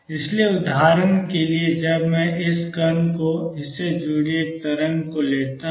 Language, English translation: Hindi, So, for example, when I take this particle and a wave associated with it